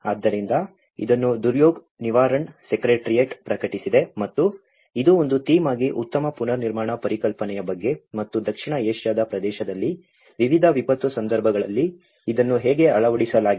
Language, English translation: Kannada, So, this has been published by Duryog Nivaran secretariat and this is about the build back better concept as a theme and how it has been implemented in different disaster context in the South Asian region